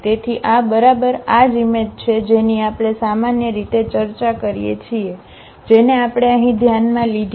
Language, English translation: Gujarati, So, we are exactly this is the image which we usually discuss which we considered here